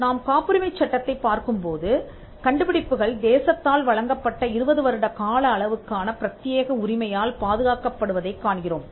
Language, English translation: Tamil, If we look at patent law, where inventions can be protected by way of an exclusive right that is granted by the state for a period of 20 years